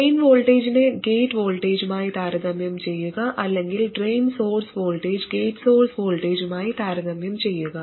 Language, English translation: Malayalam, By comparing the drain voltage to the gate voltage or drain source voltage to gate source voltage